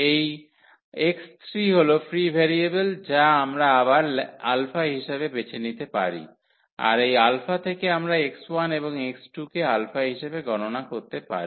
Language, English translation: Bengali, So, this x 3 is the free variable which we can choose again as as alpha; having that alpha we can compute the x 1 and x 2 in terms of of alpha